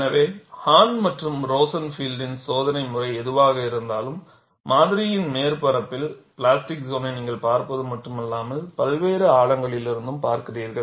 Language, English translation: Tamil, So, whatever the experimental method of Hahn and Rosenfield, also ensured, not only you see the plastic zone on the surface of the specimen, but also at various depths, you have that kind of an advantage